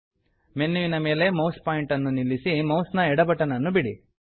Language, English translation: Kannada, Place the mouse pointer on the menu and release the left mouse button